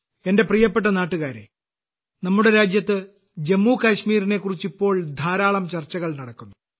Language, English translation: Malayalam, My dear countrymen, nowadays there is a lot of discussion about Jammu and Kashmir in our country